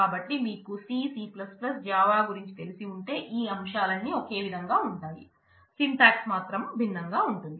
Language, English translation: Telugu, So, if you are familiar with C, C++, Java you I mean it is just that the syntax is different, but the elements are same